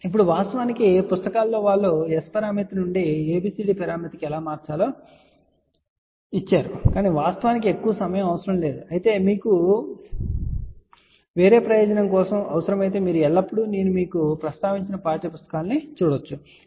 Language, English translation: Telugu, Now, of course, in the books they have also given how to convert from S parameter to ABCD but actually speaking most of the time that is not required but if at all you require for some other purpose you can always see the textbooks which I have mentioned to you, ok